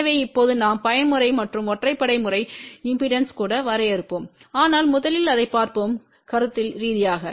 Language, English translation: Tamil, So, now we will define even mode and odd mode impedances, but first let just look at conceptually